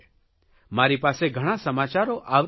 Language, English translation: Gujarati, I too keep receiving various news